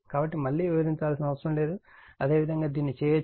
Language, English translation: Telugu, So, no need to explain again, similarly you can do it